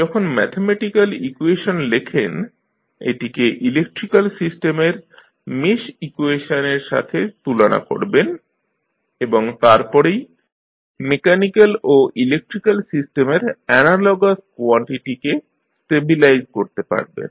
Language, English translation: Bengali, So, when you write the mathematical equation you will compare this with the mesh equation of the electrical system and then you can stabilize the analogous quantities of mechanical and the electrical system